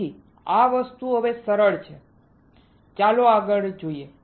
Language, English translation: Gujarati, So, this thing is easy now, let us see further